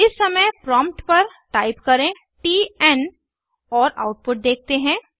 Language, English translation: Hindi, This time at the prompt type in TN and see the output